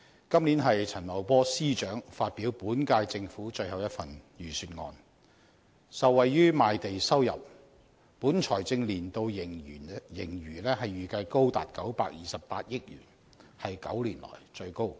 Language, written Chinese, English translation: Cantonese, 今年陳茂波司長發表本屆政府最後一份財政預算案，受惠於賣地收入，本財政年度盈餘預計高達928億元，是9年來最高。, This year the last Budget of the current - term Government is delivered by Secretary Paul CHAN . The Budget has benefited from the proceeds from land sales and it is expected that this years fiscal surplus will amount to as much as 92.8 billion which is the highest in nine years